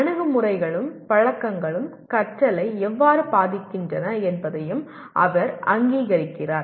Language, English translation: Tamil, He also recognizes how attitudes and habits influence learning